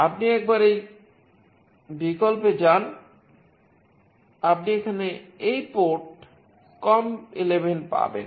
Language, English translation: Bengali, Once you go to this option you will find this port com11 here